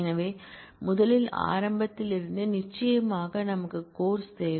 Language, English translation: Tamil, So, first from the beginning certainly we need the courses